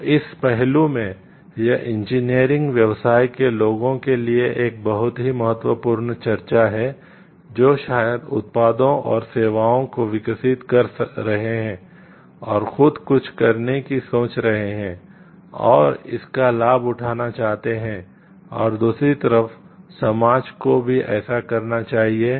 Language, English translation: Hindi, So, in that aspect; this is a very very important discussion to the like engineers engineering entrepreneurs maybe who are developing products and services and thinking of doing something on their own and want that like they like get the benefit of it also and also on other hand share it like with the society and public at large